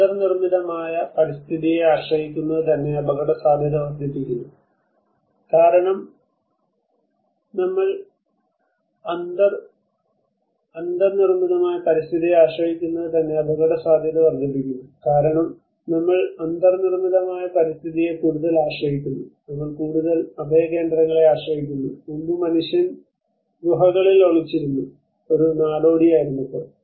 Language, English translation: Malayalam, Ideally our dependency on the built environment itself enhances vulnerability because we depend more on the built environment, we depend more on the shelters, earlier when man was a nomad when man was hiding in caves